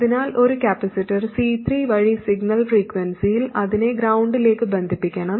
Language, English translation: Malayalam, So we have to connect it to ground for signal frequencies through a capacitor C3